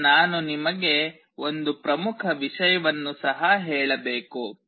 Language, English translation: Kannada, Now I should also tell you one important thing